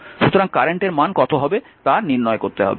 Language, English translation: Bengali, So, you have to find out that what is the current